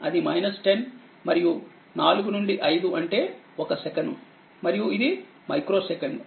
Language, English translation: Telugu, So, this is 10 volt and this is in micro second, it is micro second